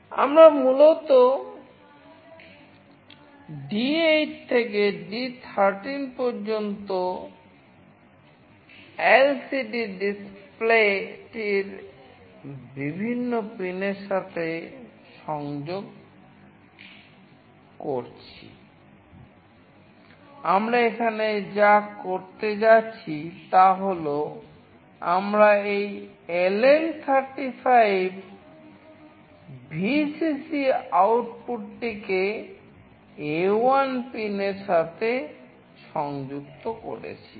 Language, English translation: Bengali, We are basically connecting from D8 to D13 to various pins of the LCD display, what we are going here to do is that, we are connecting this LM35 VCC output to pin A1